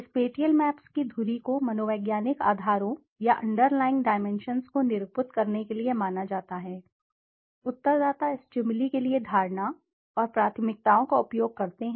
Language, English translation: Hindi, The axis of the spatial map are assumed to denote the psychological bases or underlying dimensions, respondents use to form perception and preferences for stimuli